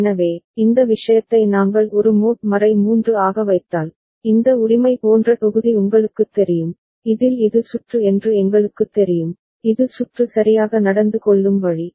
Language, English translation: Tamil, So, if we put this thing as a mod 3, you know block like this right with in which we know that this is the circuit, this is the way the circuit behaves ok